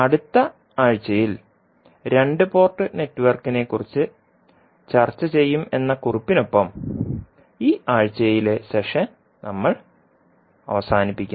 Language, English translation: Malayalam, So we close this week’s session with this note that we will discuss the 2 port network in next week